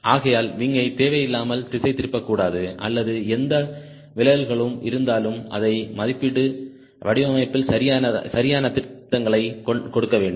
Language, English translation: Tamil, so the wing should not deflate unnecessarily or whatever deflections are there, we should be able to estimate it and apply appropriate corrections right in the design